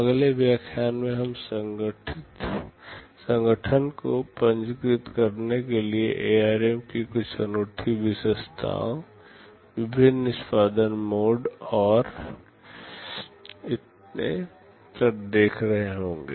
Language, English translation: Hindi, In the next lecture, we shall be looking at some of the unique features of ARM with respect to register organization, the various execution modes and so on